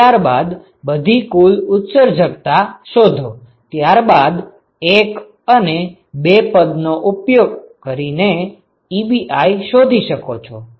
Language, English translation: Gujarati, Find Ji then find all the total emissivity, then use 1 and 2 and find Ebi, so you can find Ebi